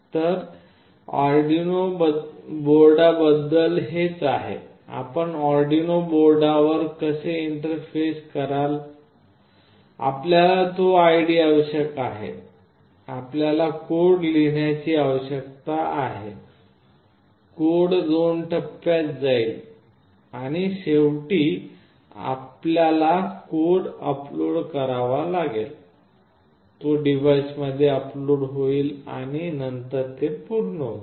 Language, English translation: Marathi, So, this is all about this Arduino board, how will you interface with Arduino board, you need that ID, you need to write the code, the code goes in 2 phases and finally, you have to upload the code, it gets uploaded into the device and then it is done